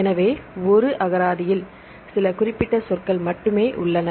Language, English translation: Tamil, So, only some specific words are present in a dictionary